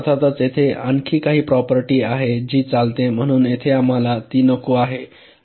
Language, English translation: Marathi, now of course there is some other property where it runs, so so here we are not wanting it now